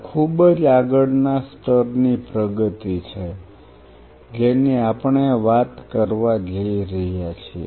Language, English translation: Gujarati, This is the next level advancement what we are going to deal